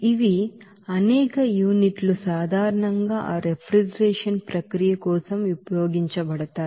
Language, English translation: Telugu, These are the , several units are generally used for that refrigeration process